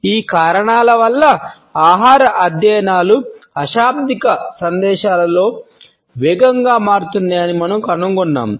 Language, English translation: Telugu, Because of these reasons we find that food studies are fast becoming a part of nonverbal messages